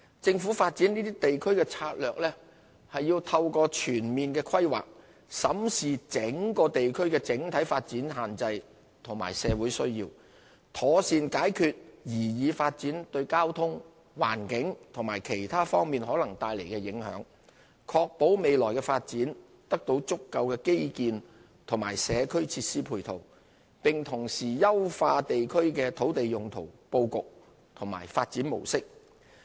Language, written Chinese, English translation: Cantonese, 政府發展這些地區的策略，是透過全面規劃，審視整個地區的整體發展限制和社會需要，妥善解決擬議發展對交通、環境及其他方面可能帶來的影響，確保未來的發展得到足夠的基建和社區設施配套，並同時優化地區的土地利用布局和發展模式。, The Governments strategy for developing such areas is to conduct comprehensive planning with a view to examining the overall development constraints of the areas and the needs of society and addressing the potential traffic environmental and other impacts caused by the proposed developments . This will ensure sufficient infrastructural and community facilities for the future development and at the same time improve land use and development patterns for the areas concerned